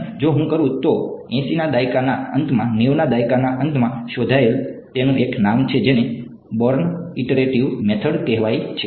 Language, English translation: Gujarati, And if I do that that there is a name for it discovered late 80’s early 90’s called the Born Iterative Method